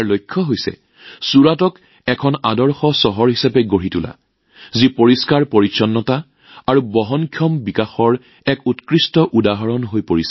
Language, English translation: Assamese, Its aim is to make Surat a model city which becomes an excellent example of cleanliness and sustainable development